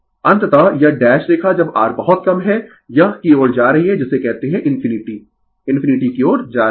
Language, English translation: Hindi, Finally, this dash line when R is very low it is tending to your what you call to infinity right tending to infinity